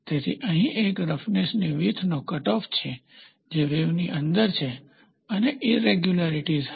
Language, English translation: Gujarati, So, here is a roughness width cutoff, which is within the wave you will have irregularities